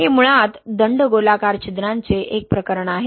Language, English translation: Marathi, This is a case of cylindrical pores basically